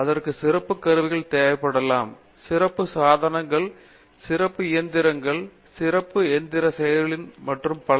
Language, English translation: Tamil, So, that requires that may require special tools, special fixtures, special machines, special machining processors and so on